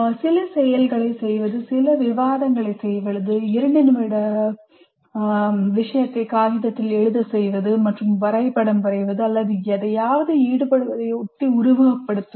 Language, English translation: Tamil, Doing some activity, doing some discussion, writing a two minute paper, or drawing a diagram, or simulating something